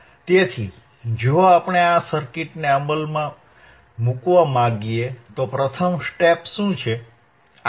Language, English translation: Gujarati, So, if we want to implement this circuit, what is the first step